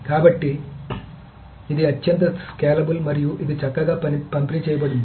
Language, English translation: Telugu, So this is highly scalable and this can be this is nicely distributed